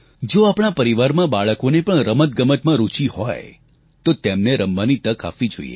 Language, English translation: Gujarati, If the children in our family are interested in sports, they should be given opportunities